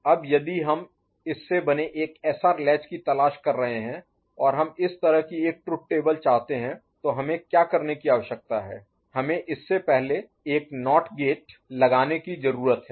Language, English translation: Hindi, Now if we are looking for a SR latch made out of this and we want a truth table like this so what we need to do; we need to put a NOT gate before it, isn’t it